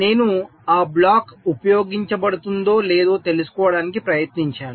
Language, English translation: Telugu, i tried to find out whether or not that block is being used